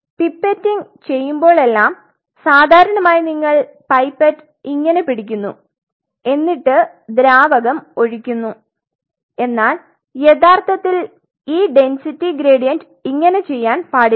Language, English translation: Malayalam, So, whenever you are pipetting it generally the way we do it you hold the pipette and you just you know dumb the fluid out there, but actually this density gradient should not be done like that